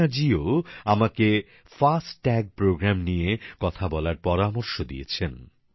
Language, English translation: Bengali, Aparna ji has asked me to speak on the 'FASTag programme'